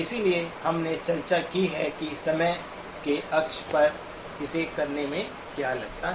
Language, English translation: Hindi, So we have discussed what it takes to do it on the time axis